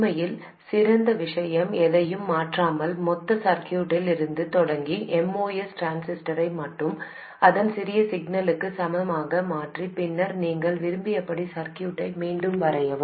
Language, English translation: Tamil, In fact, the best thing is not to change anything but start from the total circuit and replace only the MOS transistor with its small signal equivalent and then redraw the circuit as you wish to do